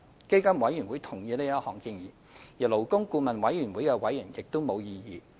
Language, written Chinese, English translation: Cantonese, 基金委員會同意這項建議，而勞工顧問委員會的委員對此亦無異議。, PCFB agreed to the proposal while members of the Labour Advisory Board had no objection